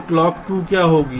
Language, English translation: Hindi, so what will be a clock two